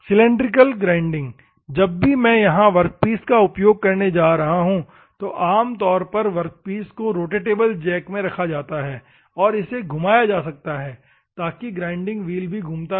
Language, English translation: Hindi, Cylindrical grinding whenever I am going to use the workpiece here what normally the workpiece is held in a rotatable jack, and it can be rotated so that the grinding wheel also will be rotating